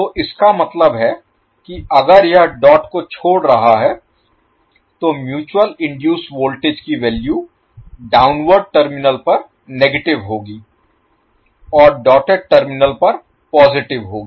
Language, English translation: Hindi, So that means if d it is leaving the dot the value of mutual induced voltage will be negative at the downward terminal and positive at the doted terminal